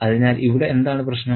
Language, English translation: Malayalam, So, what is the story